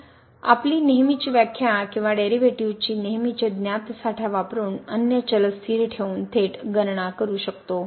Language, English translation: Marathi, So, we can directly compute using the usual definition or usual a known reserves of the derivatives keeping other variable constant ok